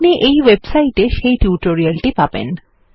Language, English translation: Bengali, You can find the tutorial at this website